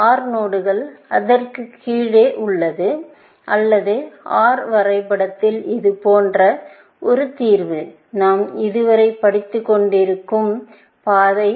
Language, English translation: Tamil, OR node is below that, and a solution in the OR graph like this, the kind that we have been studying so far, is the path